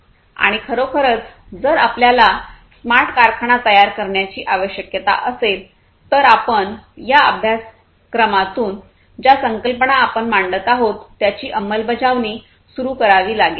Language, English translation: Marathi, And if you really need to build a smart factory basically you have to start implementing these concepts that we are going through in this course